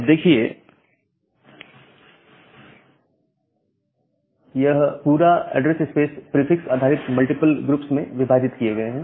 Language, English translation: Hindi, Now, this entire address space it is divided into multiple groups based on the prefix